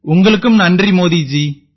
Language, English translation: Tamil, Thank you Modi ji to you too